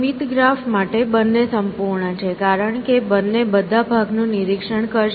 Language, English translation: Gujarati, For finite graphs, both are complete, because eventually both will inspect all part essentially